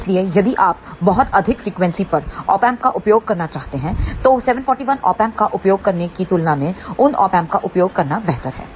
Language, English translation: Hindi, So, if you want to use Op Amp at very high frequency, it is better to use those Op Amp then to use 741 Op Amp